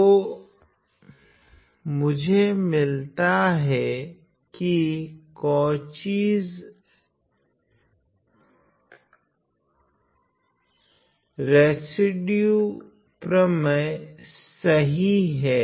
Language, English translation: Hindi, So, what I get is using Cauchy’s residue theorem right